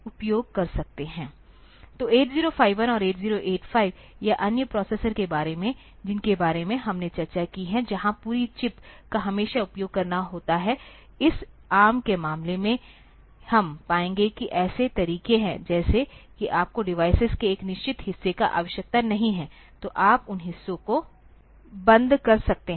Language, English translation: Hindi, So, unlike say 8051 or 8085 or other processor that we have discussed, where this entire chip always have to use in case of ARM we will find that there are way outs, like if you do not need a certain portion of the device, so you can turn off those portions